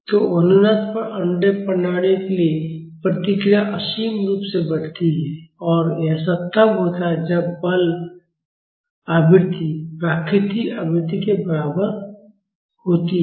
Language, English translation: Hindi, So, for undamped systems at resonance, the response grows unbounded and that happens when the forcing frequency is equal to the natural frequency